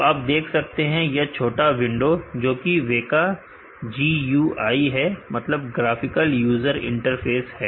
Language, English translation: Hindi, So, as you see there is a small window which is a WEKA GUI